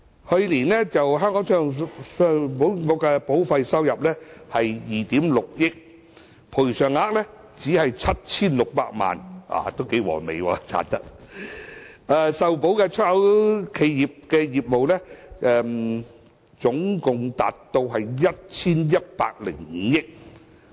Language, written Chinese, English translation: Cantonese, 去年，信保局的保費收入是2億 6,000 萬元，賠償額只是 7,600 萬元，利潤相當可觀，受保的出口企業的業務額達到 1,105 億元。, ECIC recorded a premium income of 260 million last year while the amount of claim payment was 76 million only indicating a huge profit . The insured exporters gross business turnover reached 110.5 billion